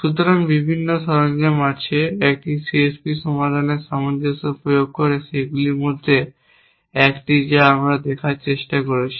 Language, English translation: Bengali, So, there are various tools in the, of a C S P solver consistency enforcement is one of those which is what we are trying to look at today